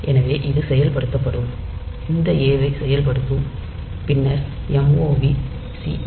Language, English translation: Tamil, So, this will be implemented it will implement a and then this it will be movc a comma a at the ret pc